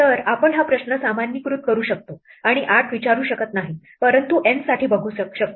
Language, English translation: Marathi, So, we can generalize this question and ask not for 8, but N